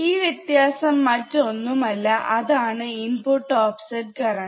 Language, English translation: Malayalam, tThis difference is nothing but the input offset current